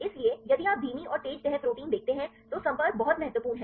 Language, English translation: Hindi, So, also if you see the slow and fast folding proteins the contacts are very important